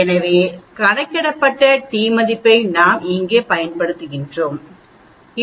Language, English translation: Tamil, So the t calculated we can use here 24